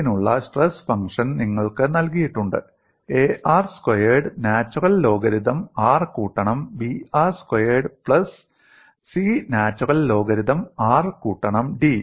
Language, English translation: Malayalam, And you have the stress function for this is given as, A r square natural logarithm r plus B r square plus C natural logarithm r plus D